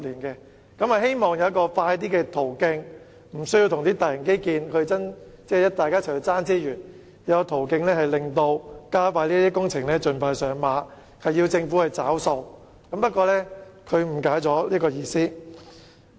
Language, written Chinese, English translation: Cantonese, 因此，我希望不用與大型基建爭奪資源，而有較快途徑讓這些工程盡快上馬，要求政府"找數"，但張議員誤解了我的意思。, As such I hope that a quicker avenue can be made available to enable these projects to commence expeditiously without competing for resources with major infrastructure projects . Moreover the Government should be requested to foot the bill . Nevertheless Dr CHEUNG has misunderstood my point